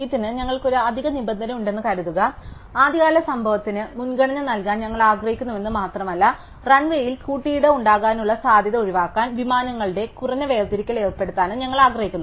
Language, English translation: Malayalam, So, suppose we have an extra requirement on this, not only do we have to want to give priority to the earliest event to happen, but we also want to impose some minimum separation of planes to avoid any possibility of collisions on the run way